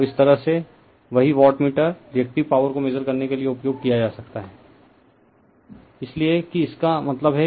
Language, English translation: Hindi, So, this way watt same wattmeter , you can used for Measuring the Reactive Power right